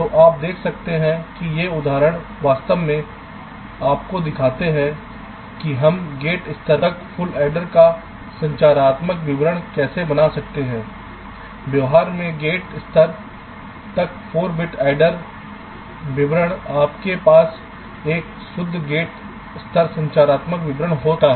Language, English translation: Hindi, these example actually shows you that how we can create a structural description of a full adder down to the gate level from the behavior four bit, add a description down to the gate level, you can have a pure gate levels structural description